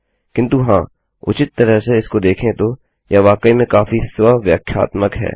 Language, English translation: Hindi, But yes, to be honest, looking at this, this is really pretty much self explanatory